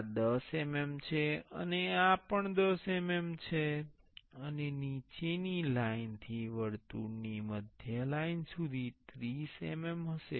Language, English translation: Gujarati, This is 10 mm and this is also 10 mm and from the bottom line to the centerline of the circle will be 30 mm